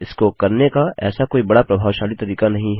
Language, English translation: Hindi, Theres no major efficient way to do it